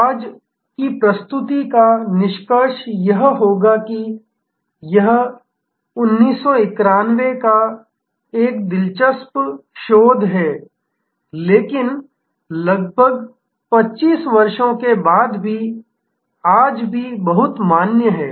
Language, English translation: Hindi, The concluding part of today’s presentation will be this is an interesting research from 1991, but very, very valid even today after almost 25 years